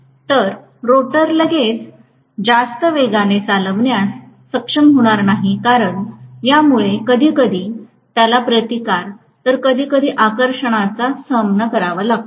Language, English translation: Marathi, So, the rotor is not going to be able to get up to speed right away because of which it will face repulsion sometimes, attraction sometimes